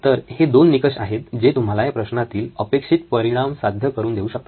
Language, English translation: Marathi, So, these are 2 criteria that will give you the desired result that you are seeking in this problem